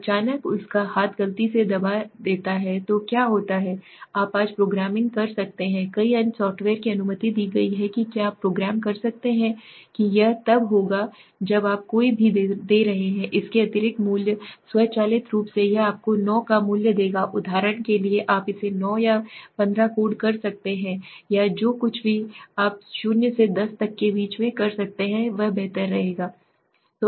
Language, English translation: Hindi, Suddenly his hand he press by mistake so what happens is you can program today programming is allowed in many other software s were you can program that it will when you are giving any value beyond this automatically it will give you a value of 9 for example you can code it 9 or 15 or whatever you could in between 0 to 10 it is better right